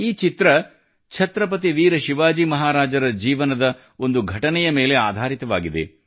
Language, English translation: Kannada, This painting was based on an incident in the life of Chhatrapati Veer Shivaji Maharaj